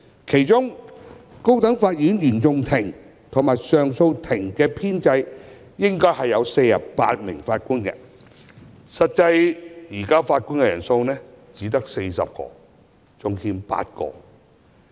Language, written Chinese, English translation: Cantonese, 其中，高等法院原訟法庭及上訴法庭的編制應有共48位法官，惟實際法官人數只有40位，尚欠8位。, Among them the establishment of CFI and CA of the High Court is 48 Judges but the strength is only 40 with eight Judges short